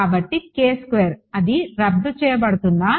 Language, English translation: Telugu, So, does it cancel off then